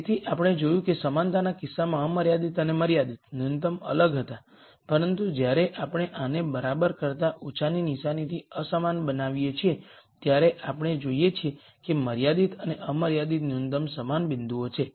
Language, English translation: Gujarati, So we saw that in the case of equality the unconstrained and constrained minimum were different, but when we made this into an inequality with the less than equal to sign we see that the constrained and unconstrained minimum are the same points